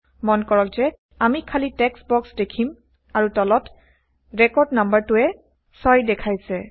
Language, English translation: Assamese, Notice that we see empty text boxes and the record number at the bottom says 6